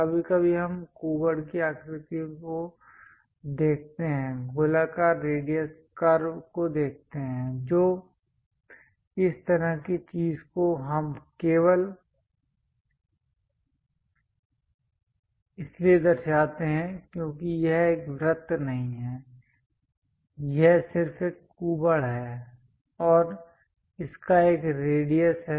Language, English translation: Hindi, Sometimes we see hump kind of shapes, curves circular radius curves that kind of thing we only represent because it is not a circle, it is just a hump and it has a radius